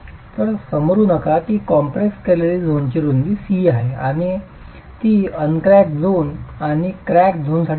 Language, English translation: Marathi, So let's assume that the width of the compressed zone is C and it varies for the uncracked zone and the crack zone